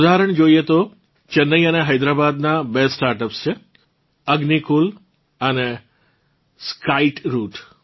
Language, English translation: Gujarati, For example, Chennai and Hyderabad have two startups Agnikul and Skyroot